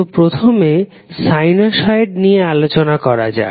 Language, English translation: Bengali, So, let's first understand sinusoid